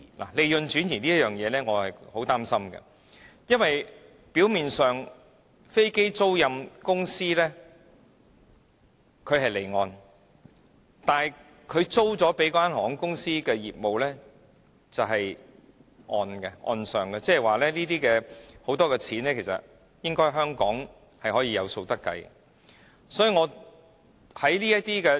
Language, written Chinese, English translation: Cantonese, 對於利潤轉移這一點，我深感憂慮，因為飛機租賃業務表面上屬於離岸，但承租的航空公司的業務卻在本地進行，即是說有很多在港收入其實是可以計算得到的。, I am gravely concerned about the possible transfer of profits because aircraft leasing is superficially an offshore business but airline companies as aircraft lessees are operating their business locally meaning that many of their trading receipts in Hong Kong are in fact readily quantifiable